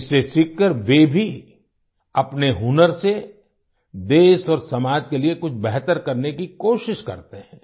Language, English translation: Hindi, Learning from this, they also try to do something better for the country and society with their skills